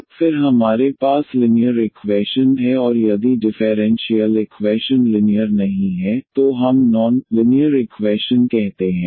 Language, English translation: Hindi, So, then we have the linear equation and if the differential equation is not linear then we call the non linear equation